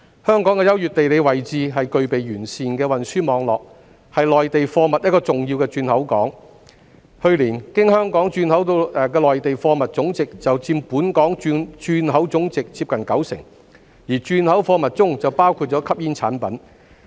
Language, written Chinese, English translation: Cantonese, 香港的優越地理位置及具備完善的運輸網絡，是內地貨物一個重要的轉口港，去年，經香港轉口的內地貨物總值就佔本港轉口總值接近九成，而轉口貨物中就包括吸煙產品。, Given its advantageous geographical location and well - developed transport network Hong Kong is an important entrepot for goods from the Mainland . Last year the value of Mainland goods re - exported through Hong Kong accounted for nearly 90 % of Hong Kongs total re - export trade value